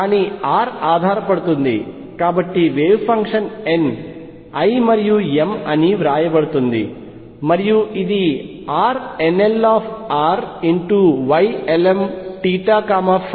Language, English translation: Telugu, But r does, so the wave function is written as n l and m and this is R nl r Y ln theta and phi